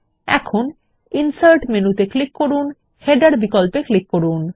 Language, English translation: Bengali, Now click on the Insert menu and then click on the Header option